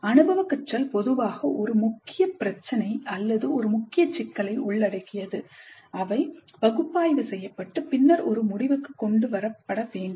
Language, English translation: Tamil, Experiential learning generally involves a core issue or a core problem that must be analyzed and then brought to a conclusion